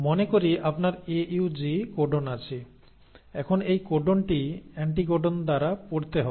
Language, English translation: Bengali, So if you have, let us say a codon AUG; now this codon has to be read by the anticodon